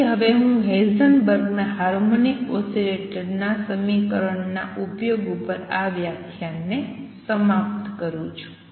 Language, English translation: Gujarati, So, let me now conclude this lecture on Heisenberg’s application of his equation to harmonic oscillator and write